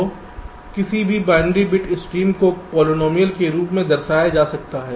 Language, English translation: Hindi, ok, so any binary bit stream can be represented as a polynomial